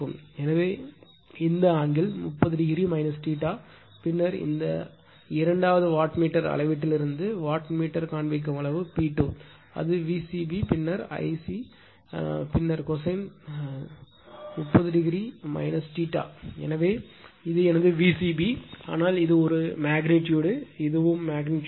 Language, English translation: Tamil, So, this angle is 30 degree minus theta then watt wattmeter reading from that second wattmeter reading is P 2 is given P 2 should is equal to it is V c b then your I c then your cosine , 30 degree minus theta right